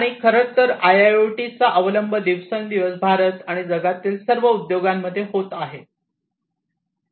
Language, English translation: Marathi, In fact, the adoption of IIoT is increasing day by day continuously in all industries in India and throughout the world